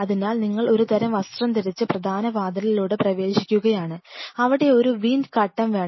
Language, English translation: Malayalam, So, you kind of dressed up and you are entering through the main door you prefer to have something called a wind curtain